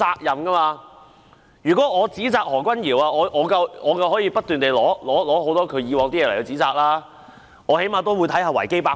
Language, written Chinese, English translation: Cantonese, 如果我想指責何君堯議員，我大可隨便翻他舊帳，但我最低限度會查閱維基百科。, If I want to blame Dr Junius HO I can simply rake over his past but I will at least check Wikipedia